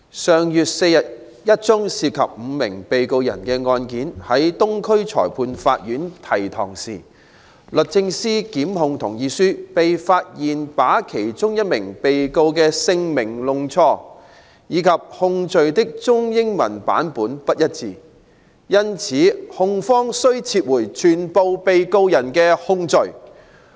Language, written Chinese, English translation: Cantonese, 上月4日一宗涉及5名被告人的案件在東區裁判法院提堂時，律政司檢控同意書被發現把其中一名被告人的姓名弄錯，以及控罪的中英文版不一致，因此控方需撤回全部被告人的控罪。, On the 4th of last month when a case involving five defendants was brought before the Eastern Magistrates Courts a misnomer for one of the defendants and inconsistency in the Chinese and English versions of the charges were uncovered in the consent to prosecution of the Department of Justice DoJ . As a result the prosecution had to withdraw the charges against all the defendants